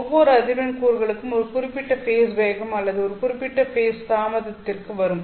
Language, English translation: Tamil, At z equal to l, each frequency component would arrive at a certain phase velocity or a certain phase delay